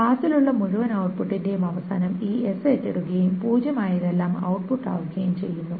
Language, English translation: Malayalam, At the end of the whole output, a pass is taken over this S and everything that is zero is output